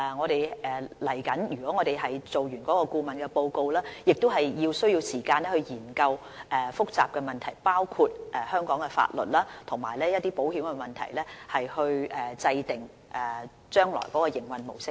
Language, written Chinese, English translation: Cantonese, 當完成顧問報告後，我們需要時間研究複雜的問題，包括香港的法律及保險問題，從而制訂將來的營運模式。, After the completion of the consultancy report we will need time to study all the complicated issues including legal and insurance matters so as to formulate the future operational model